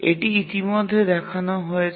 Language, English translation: Bengali, That's what we have shown here